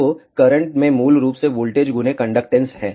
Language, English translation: Hindi, So, current is basically conductance into voltage